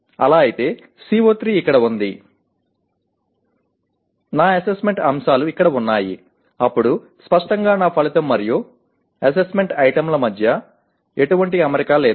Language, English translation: Telugu, If it is so, my CO3 is here, my assessment items are here then obviously there is no alignment between my outcome and the assessment items